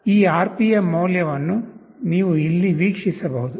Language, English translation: Kannada, You can view this RPM value here